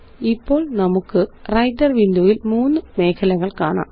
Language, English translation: Malayalam, Now we can see three areas in the Writer window